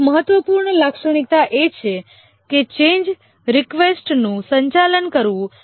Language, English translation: Gujarati, One important characteristic is to handle change requests